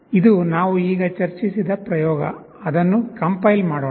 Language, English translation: Kannada, This is the experiment that we have discussed now, let us compile it